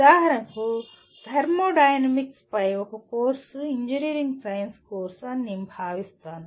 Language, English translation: Telugu, Like for example a course on thermodynamics I would consider it constitutes a engineering science course